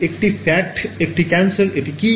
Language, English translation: Bengali, Is it fat, is it cancer, what is it